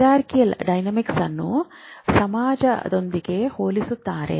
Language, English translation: Kannada, Is there is a hierarchical dynamics if compare with society